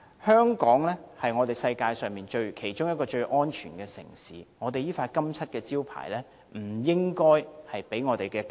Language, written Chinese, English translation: Cantonese, 香港是世界上其中一個最安全的城市，這個金漆招牌不應因"假難民"而被打破。, Hong Kong is one of the safest cities in the world and this sterling reputation should not be tarnished by bogus refugees